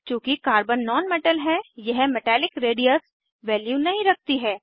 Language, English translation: Hindi, Since Carbon is a non metal it does not have Metallic radius value